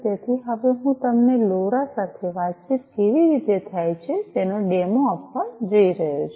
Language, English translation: Gujarati, So, I am going to now give you a demo of how communication happens with LoRa